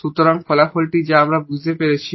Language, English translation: Bengali, So, that is the result we are talking about here